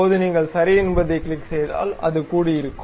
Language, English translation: Tamil, Now, if you click ok, it will be assembled